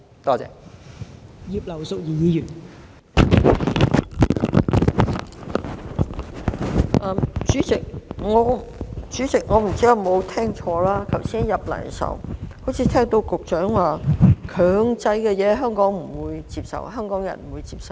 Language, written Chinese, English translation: Cantonese, 代理主席，我不知道有否聽錯，我剛才進來時好像聽到局長說，強制的事情香港人不會接受。, Deputy President I am not sure if I heard it wrong but when I came in just now I heard the Secretary say that anything mandatory would be unacceptable to Hong Kong people